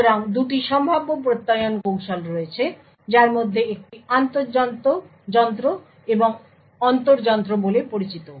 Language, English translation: Bengali, So, there are 2 Attestation techniques which are possible one is known is the inter machine and the intra machine